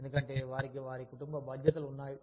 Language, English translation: Telugu, Because, they have their family responsibilities